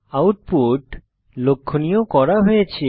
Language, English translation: Bengali, The output is as shown